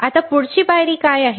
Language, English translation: Marathi, Now what is next step